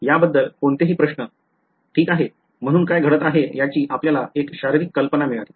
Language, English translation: Marathi, Any questions about this, ok so you got a physical idea of what is happening